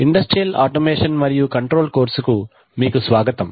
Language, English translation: Telugu, Welcome to the course on industrial automation and control